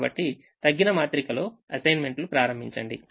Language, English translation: Telugu, so start making assignments in the reduced matrix